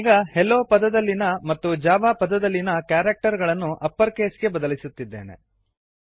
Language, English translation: Kannada, Im changing a few characters of the word Hello to upper case and of the word java to uppercase